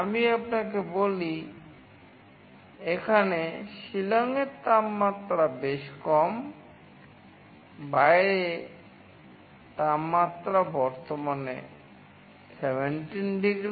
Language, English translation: Bengali, Let me tell you the temperature out here in Shillong is quite low; the outside temperature currently is 17 degrees